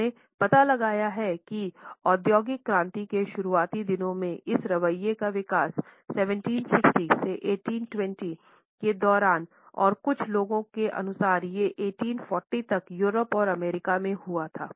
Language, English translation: Hindi, He has traced the development of this attitude to the early days of industrial revolution which had occurred during 1760 to 1820 and some people a stretch it to 1840 also in Europe and the USA